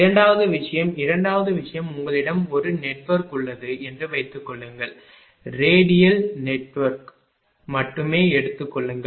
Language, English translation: Tamil, Second thing is second thing is suppose you have a network take radial network only